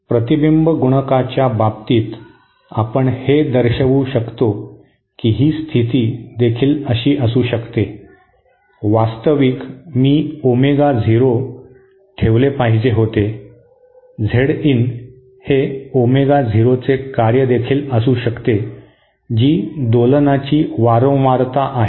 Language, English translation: Marathi, In terms of reflection coefficient you can show that this condition can alsoÉ Actually I should have put Omega 0, Z in might also be a function of Omega 0 that is the frequency of oscillation